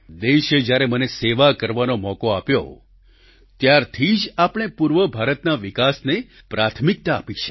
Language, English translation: Gujarati, Ever since the country offered me the opportunity to serve, we have accorded priority to the development of eastern India